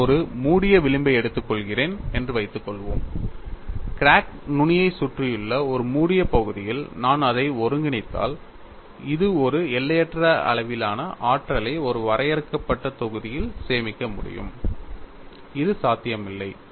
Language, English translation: Tamil, Suppose I take a closed contour, if I integrate it over a closed region surrounding the crack tip, this results in the observation that it would be possible to store an infinite amount of energy in a finite volume, which is not possible